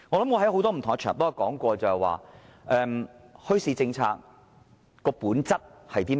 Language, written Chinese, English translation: Cantonese, 我在很多不同的場合也說過，墟市政策的本質是甚麼？, I have talked about the essence of the bazaar policy on many different occasions